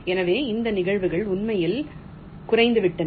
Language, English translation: Tamil, so it will be this probability were actually go down